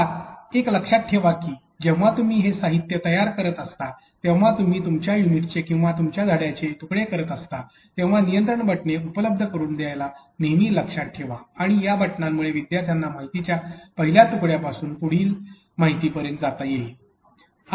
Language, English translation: Marathi, Now, remember that when you are creating this contents you are segmenting your unit or your lesson into pieces what you have to remember is that always remember to provide control buttons and these buttons could be like a continue button that allows the student to be able to move from the first piece of information to the next piece of information